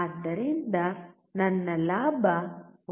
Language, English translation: Kannada, So, my gain is 1